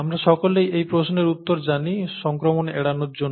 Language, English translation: Bengali, All of us would know the answer to this question – to avoid infection